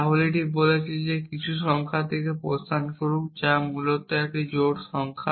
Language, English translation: Bengali, So, it is saying that there exit some number which is an even number essentially